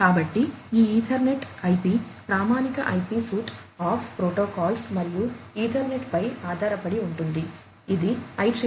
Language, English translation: Telugu, So, this Ethernet/IP is based on the standard IP suite of protocols plus the Ethernet, which is IEEE 82